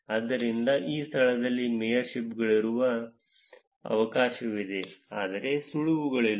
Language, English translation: Kannada, So, therefore, there is a chance that there are mayorships in that location, but not tips